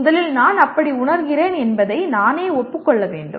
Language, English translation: Tamil, First I have to acknowledge to myself that I am feeling such and such